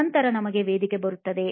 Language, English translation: Kannada, Then, comes the stage for us